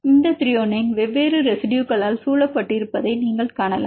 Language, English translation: Tamil, You can see this Thr is surrounded by different residues